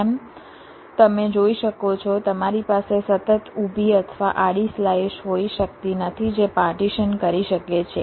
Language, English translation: Gujarati, as you can see, you cannot have a continuous vertical or a horizontal slice that can partition this floor plan